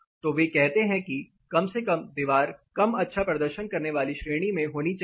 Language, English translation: Hindi, So, they say that at least the wall should be a fairly performing wall